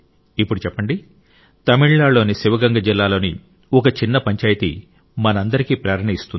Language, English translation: Telugu, Now tell me, a small panchayat in Sivaganga district of Tamil Nadu inspires all of us countrymen to do something or not